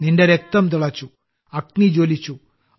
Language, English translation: Malayalam, Your blood ignited and fire sprang up